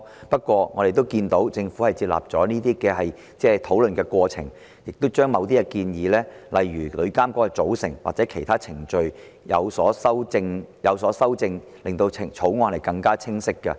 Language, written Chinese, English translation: Cantonese, 不過，政府在討論這些問題的過程中，已接納部分意見，亦修訂了某些建議，例如旅監局的組成或其他程序等，從而令《條例草案》更加清晰。, Nevertheless in the course of discussion the Government has accepted some of the opinions and revised certain proposals such as the composition of TIA or other procedures so as to improve clarity of the Bill